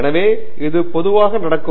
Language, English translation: Tamil, So, this is typically how it happens